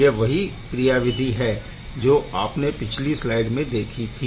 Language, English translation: Hindi, This is a same mechanism what we had seen in the last slide as well right